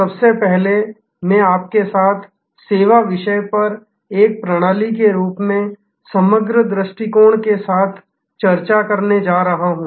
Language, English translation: Hindi, First of all, I am going to discuss with you, the topic of Services as Systems, with a Holistic Approach